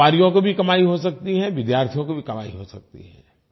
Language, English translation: Hindi, The traders can earn, so can students